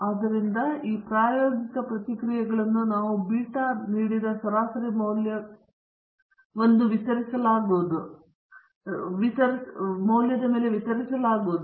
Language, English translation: Kannada, So, we have these experimental responses as being distributed around a mean value given by beta naught plus beta 1 X